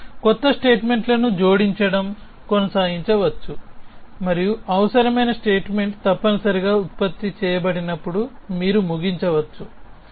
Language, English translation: Telugu, You can keep adding new statements and you can terminate when the required statement is produced essentially